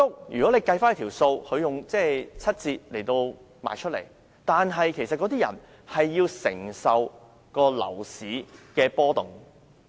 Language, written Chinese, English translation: Cantonese, 如果審視整體情況，居屋以七折出售單位，但買家其實需要承受樓市的波動。, All in all HOS buyers have to bear the risk of fluctuations in the property market despite being offered a 30 % discount for their flats